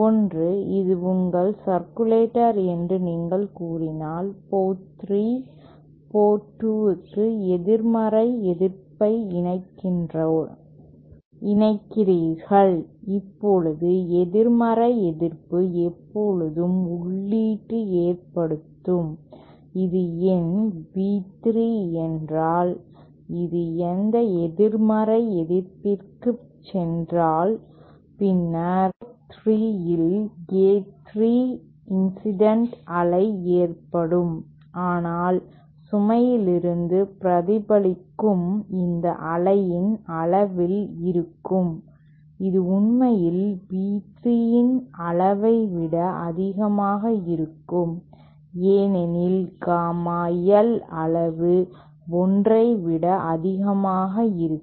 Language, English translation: Tamil, Now negative resistance will always cause input say if this is my say B3 that is entering this negative resistance, then A3 the wave incident at port 3 but reflected from the load will be at the magnitude of this wave will actually be greater than the magnitude of B3 because Gamma L magnitude will be greater than 1